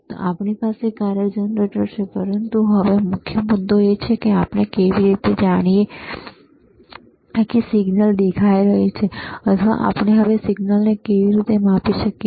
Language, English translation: Gujarati, So, so, we have this functions in the function generator, but now the main point is, how we know that this is the signal appearing or how we can measure the signal now